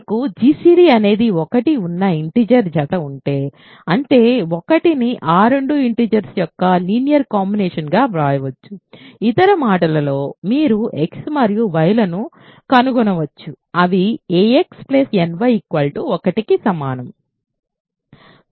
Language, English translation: Telugu, If you have a pair of integers whose gcd is 1, that means, 1 can be written as a linear combination of those two integers a in other words you can find x and y such that ax equal to ax plus ny equal to 1